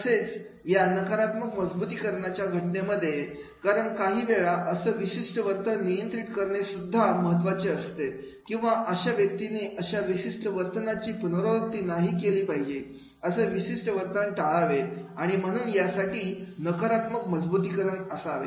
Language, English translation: Marathi, However, in case of the negative reinforcement, because sometimes it is also important to control that particular behavior or that the person should not repeat that particular behavior, avoid the certain behavior and for that purpose, negative reinforcement is to be there